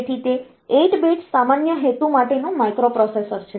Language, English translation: Gujarati, So, it is a 8 bit general purpose microprocessor